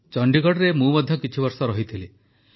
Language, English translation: Odia, I too, have lived in Chandigarh for a few years